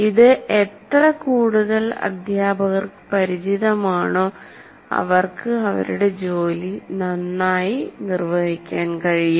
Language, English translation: Malayalam, The more you are familiar with this, the more the teacher can perform his job better